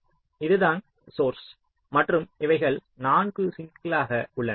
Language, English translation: Tamil, so this is the source and these are the four sinks